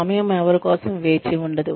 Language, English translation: Telugu, Time waits for nobody